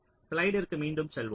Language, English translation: Tamil, so let us go back to the slide